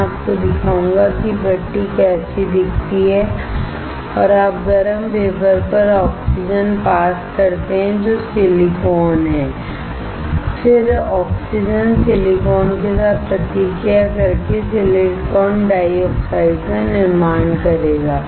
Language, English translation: Hindi, I will show you how the furnace looks like and you pass oxygen onto the heated wafer which is silicon, then the oxygen will react with silicon to form silicon dioxide